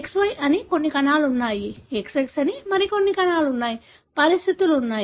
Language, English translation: Telugu, There are some cells that are XY, some cells that are XX and so on, there are conditions